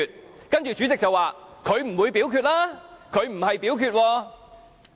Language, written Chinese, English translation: Cantonese, 我知道主席接着會說，他不會表決，他沒有表決。, I know that the President will then say that he will not vote that he has not voted